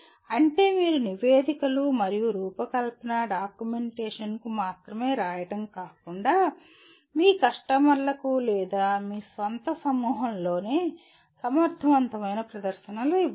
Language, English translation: Telugu, That is you should not only write reports and design documentation and make effective presentations to again your customers or within your own group